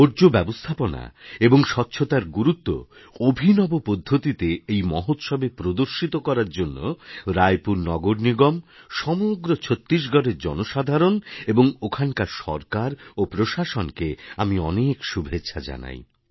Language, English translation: Bengali, For the innovative manner in which importance of waste management and cleanliness were displayed in this festival, I congratulate the people of Raipur Municipal Corporation, the entire populace of Chhattisgarh, its government and administration